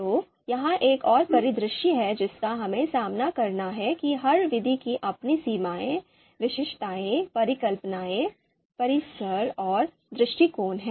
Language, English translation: Hindi, So this is another scenario that we have to face that every method they have their own limitation, they have their own particularities, hypotheses, premises and perspective